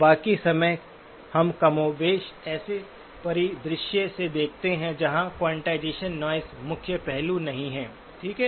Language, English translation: Hindi, The rest of the time, we are, more or less, looking at a from a scenario where quantization noise is not the main aspect, okay